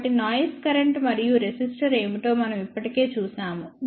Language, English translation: Telugu, So, we have already seen what are the noise current and resistor